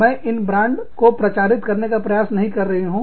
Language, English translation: Hindi, And, i am not trying to promote, these brands